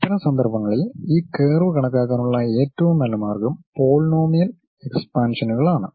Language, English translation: Malayalam, In that case the best way of approximating this curve is by polynomial expansions